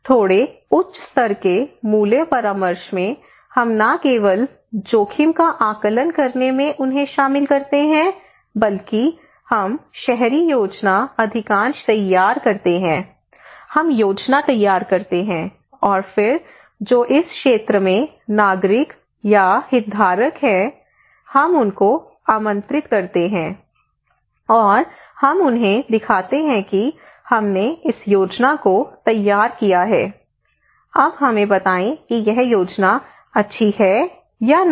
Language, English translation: Hindi, In little higher level value consultations we not only involve them in assessing the risk, estimating the risk but we prepare a plan most of the cases in urban planning we prepare the plan and then those who are living in this areas those who are the citizens or the stakeholders we invite them, and we show them, hey we prepared this plan now tell us this plan is good or not